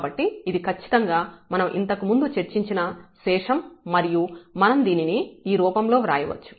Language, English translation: Telugu, So, this is exactly the remainder which we have discussed before and which we can write down in this form